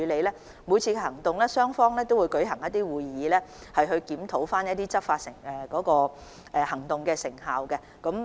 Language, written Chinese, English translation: Cantonese, 在每次行動後，雙方都會舉行會議檢討該次行動的成效。, After each operation the parties will hold a meeting to review the effectiveness of the operation